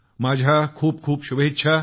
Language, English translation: Marathi, I extend many felicitations to you